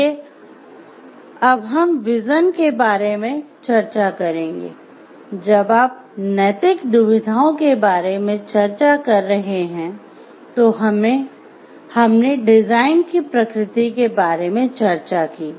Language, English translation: Hindi, So, now we will discuss about like vision we write when you are discussing about moral dilemmas, we have discussed about the nature of designs